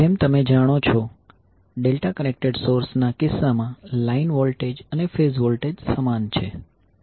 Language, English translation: Gujarati, So as you know, in case of delta connected source, the line voltage and phase voltages are same